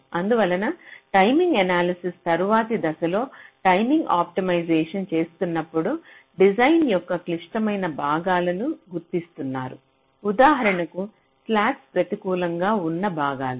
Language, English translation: Telugu, so when you are doing timing optimization as a subsequent step to timing analyzes, you are identifying the critical portions of your design, like, for example, the portions where the slacks are negative